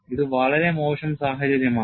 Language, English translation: Malayalam, It is a very bad scenario